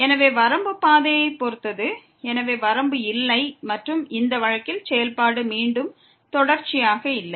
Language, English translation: Tamil, So, limit depends on path and hence the limit does not exist and the function is not continuous again in this case